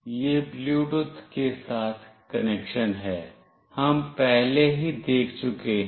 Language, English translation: Hindi, This is the connection with Bluetooth, we have already seen